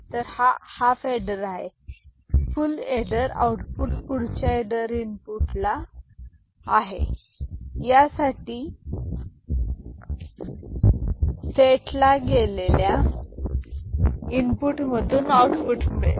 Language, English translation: Marathi, So, this half adder this full adder output is one of the input of the next adder, next set of adders